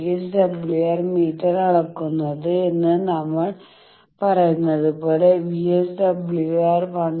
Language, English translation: Malayalam, As we say that the VSWR meter is measured, VSWR to be 1